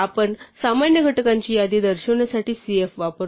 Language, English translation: Marathi, So, we use cf to denote the list of common factors